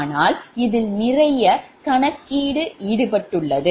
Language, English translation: Tamil, so, because lot of your computations are involved